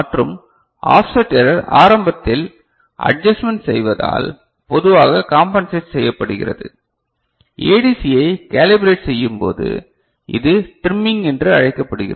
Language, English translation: Tamil, And offset error usually is compensated by doing adjustment in the beginning, when you calibrate the ADC, and it is also called trimming ok